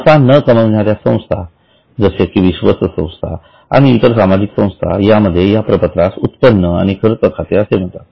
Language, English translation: Marathi, For non profit organizations like trust and societies it is called as income and expenditure account